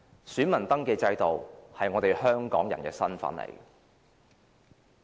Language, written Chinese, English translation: Cantonese, 選民登記制度可體現我們香港人的身份。, The voter registration system can manifest our status as Hong Kong people